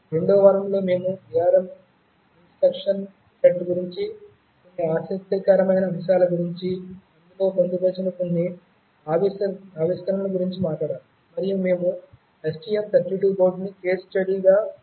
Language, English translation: Telugu, During the 2nd week, we talked about some interesting aspects about the ARM instruction set, some innovations that were incorporated therein, and we took as a case study the STM32 board